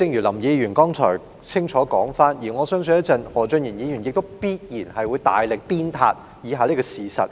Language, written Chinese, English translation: Cantonese, 林議員剛才作了清楚說明，而我相信稍後何俊賢議員必然會大力鞭撻以下這個事實。, Mr LAM has already explained this clearly and I believe Mr Steven HO will certainly blast the following fact in a moment